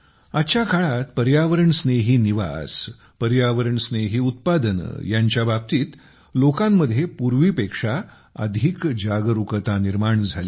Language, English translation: Marathi, Friends, today more awareness is being seen among people about Ecofriendly living and Ecofriendly products than ever before